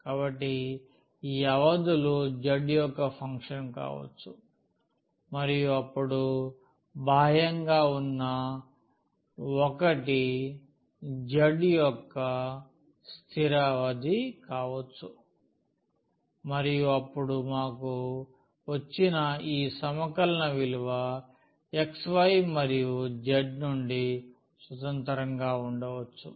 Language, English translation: Telugu, So, these limits can be the function of z and the outer one then that has to be the constant limits for z and now we will get a value of this integral which is free from this x y and z